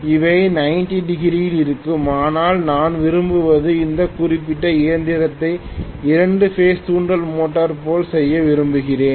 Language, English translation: Tamil, They will be at 90 degrees, but what I want is I want to I want to make this particular machine function like a two phase induction motor